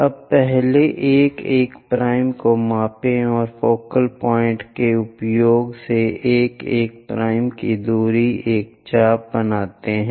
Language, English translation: Hindi, So, first, measure 1 1 dash, and from focal point use, a distance of 1 1 dash make an arc